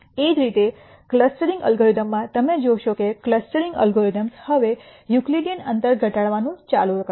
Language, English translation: Gujarati, Similarly in clustering algorithms you would see that clustering algorithms would turn out to be minimization of a Euclidean distance now